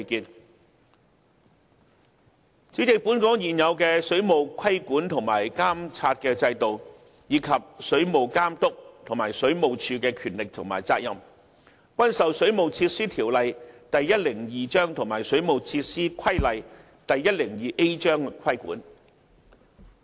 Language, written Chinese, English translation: Cantonese, 代理主席，本港現有的水務規管和監察制度，以及水務監督和水務署的權力和責任，均受《水務設施條例》及《水務設施規例》規管。, The existing water regulatory and monitoring regime in Hong Kong as well as the powers and responsibilities of the Water Authority and WSD are governed under WWO Cap